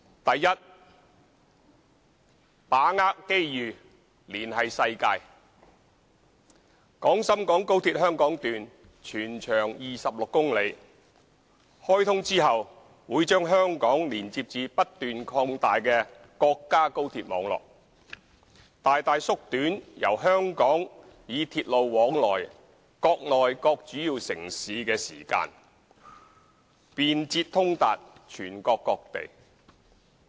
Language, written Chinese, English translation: Cantonese, a 把握機遇連繫世界廣深港高鐵香港段全長26公里，開通後會將香港連接至不斷擴大的國家高鐵網絡，大大縮短由香港以鐵路往來內地各主要城市的時間，便捷通達全國各地。, a Grasping the opportunity to connect to the world The 26 km - long Hong Kong Section of XRL will connect Hong Kong to the continuously expanding national high - speed rail network upon commissioning substantially reducing the rail journey time between Hong Kong and various major Mainland cities and offering convenient and speedy access to various places of the country